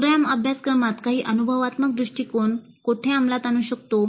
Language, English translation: Marathi, Then where do we implement the experiential approach in the program curriculum